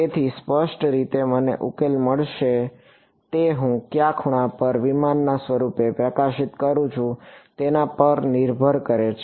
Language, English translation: Gujarati, So, implicitly the solution that I get depends on how which angle I am illuminating the aircraft form right